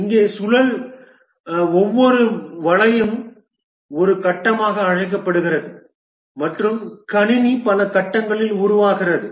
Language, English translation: Tamil, Here each loop of the spiral is called as a phase and the system gets developed over many phases